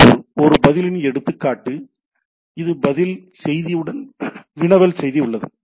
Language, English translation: Tamil, Similarly, example of a response is it query message is there and along with the response message is also there right